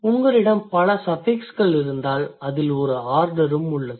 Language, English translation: Tamil, If you have many suffixes, then also there is an order